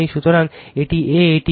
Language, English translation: Bengali, So, this is A, this is B